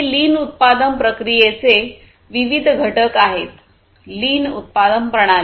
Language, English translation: Marathi, These are the different components of the lean production process, lean production system